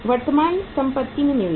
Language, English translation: Hindi, Investment in current assets